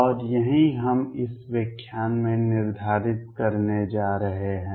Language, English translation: Hindi, And this is what we are going to determine in this lecture